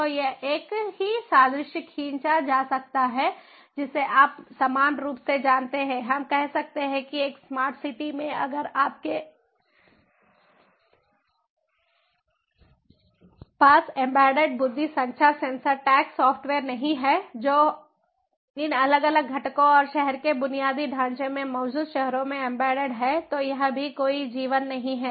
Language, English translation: Hindi, you know, analogously, we can say that in a smart city, if you do not have embedded intelligence, communication networks, sensors, tags, software embedded in these different components and infrastructure of the city, the existing cities then it also doesnt have any life